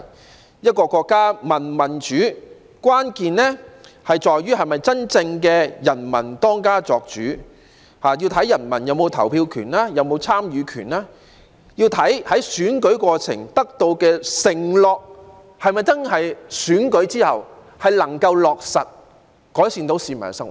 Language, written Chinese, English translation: Cantonese, 要判定一個國家民主與否，要看國家是否真正由人民當家作主，關鍵在於投票權及參與權，要看在選舉過程許下的承諾在選舉之後是否真的能夠落實，改善市民生活。, In order to determine whether a country is a democracy or not all must depend on whether its people are truly the masters of the country and the key lies in the right to vote and the right to participate . This also depends on whether the promises made in the election process can really be honoured after the election to improve peoples livelihood